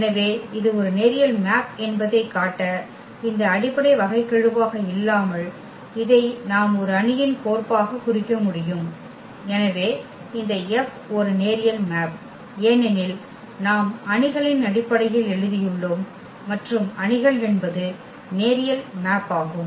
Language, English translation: Tamil, So, without that fundamental derivation of this to show that this is a linear map we have taken this way that this we can represent as a matrix map and therefore, this F is a linear map because we have written in terms of the matrix and matrixes are linear map